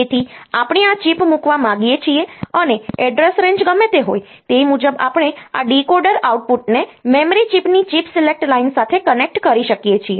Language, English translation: Gujarati, So, whatever be the address range in which we want to put this chip, accordingly we can connect this a decoder output to the chip select line of the chip of the of the memory chip